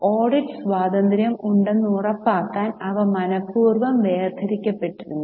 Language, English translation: Malayalam, They were deliberately separated to ensure that there is audit independence